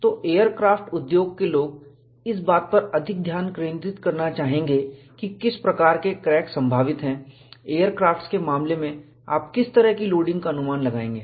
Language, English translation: Hindi, So, aircraft industry people would like to focus more on what kind of cracks are probable, what kind of loading you anticipate in the case of aircrafts